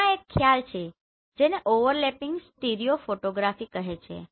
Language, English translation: Gujarati, There is a concept called overlapping stereo photography